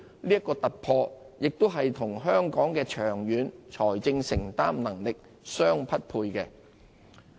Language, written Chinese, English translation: Cantonese, 這個突破亦與香港的長遠財政承擔能力相匹配。, Such a breakthrough is broadly in line with the affordability of Hong Kong in the long run